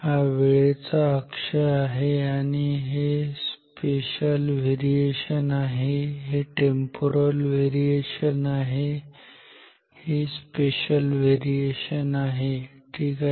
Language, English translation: Marathi, This is the time axis and this is the spatial variation this is temporal variation this is spatial variation ok